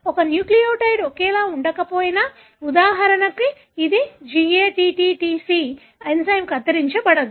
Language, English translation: Telugu, Even if one nucleotide is not the same, for example it is GATTTC, the enzyme will not cut